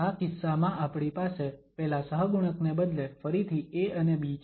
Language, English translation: Gujarati, In this case, we have instead of those coefficients again we have a and b